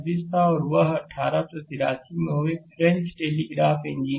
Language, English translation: Hindi, And in 1883, he was a French telegraph engineer